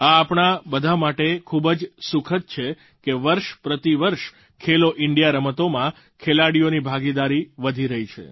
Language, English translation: Gujarati, It is very pleasant for all of us to learn that the participation of athletes in 'Khelo India Games' is on the upsurge year after year